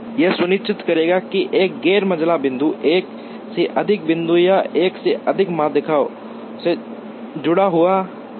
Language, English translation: Hindi, This will ensure that, a non median point 1 does not get attached to more than one point or more than one median